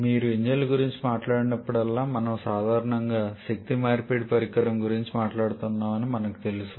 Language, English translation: Telugu, Now we know that whenever you talk about engines, we are generally talking about an energy conversion device